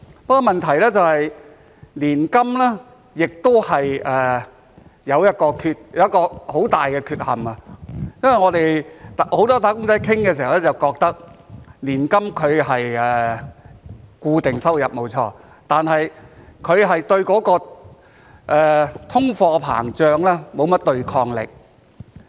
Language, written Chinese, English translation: Cantonese, 不過，問題是年金亦有一個很大的缺陷，因為我們很多"打工仔"在討論時都覺得，年金是固定收入，沒錯，但卻對通貨膨脹沒有甚麼對抗力。, However the problem is that annuities also have a major drawback because as expressed by many of our fellow wage earners during discussions annuities admittedly provide fixed incomes but offer little protection against inflation